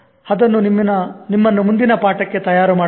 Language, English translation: Kannada, And that will prepare you for the next lesson also